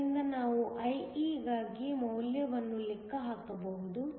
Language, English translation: Kannada, So, we can calculate the value for IE